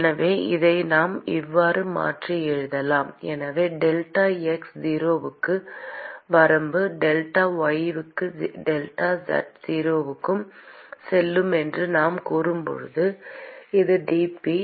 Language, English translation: Tamil, So, we can rewrite this as so when I say that limit delta x goes to 0, delta y goes to 0 and delta z goes to 0: so, we can write this as dq by